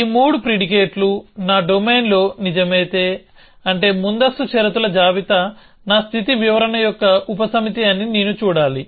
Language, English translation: Telugu, So, if these 3 predicates happen to be true in my domain, which means of course, I have to just see the precondition list is a subset of my state description